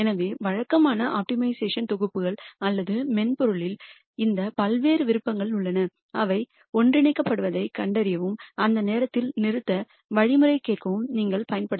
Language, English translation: Tamil, So, in typical optimization packages or software there are these various options that you can use to ask for convergence to be detected and the algorithm to stop at that point